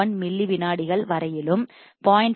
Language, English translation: Tamil, 1 milliseconds, and from 0